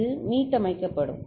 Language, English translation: Tamil, It will get reset